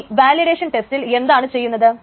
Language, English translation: Malayalam, So, this validation test is done